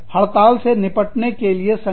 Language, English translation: Hindi, What is the action, that organizations take, in order to deal with the strike